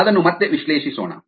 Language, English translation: Kannada, let us revisit that